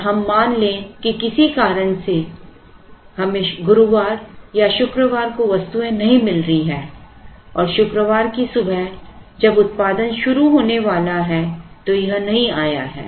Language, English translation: Hindi, And let us assume for some reason we are not getting on Thursday or Friday and when the Friday morning when the production is about to begin the item has not come it is not available